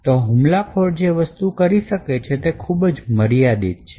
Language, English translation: Gujarati, Thus, there is a limitation to what the attacker can do